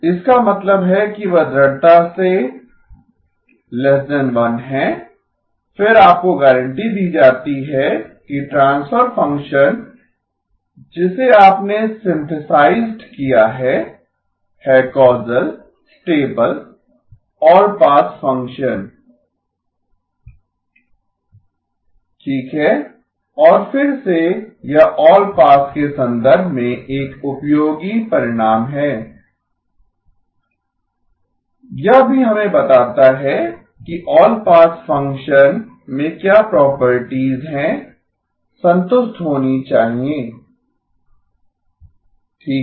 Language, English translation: Hindi, That means they are strictly less than 1, then you are guaranteed that the transfer function that you have synthesized is a causal stable all pass function okay and again this is a useful result in the context of allpass, this also tells us that what are the properties in all pass function should satisfy okay